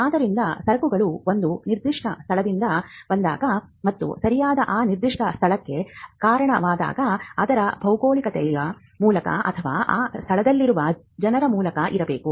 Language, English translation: Kannada, So, when goods come from a particular place and the quality of the good is attributed to that particular place be at by way of its geography or by way of the people who are in that place